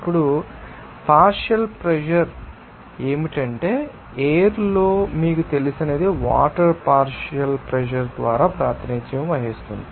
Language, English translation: Telugu, Now, what should be the partial pressure of that what are you know in the air it will be represented by the partial pressure of water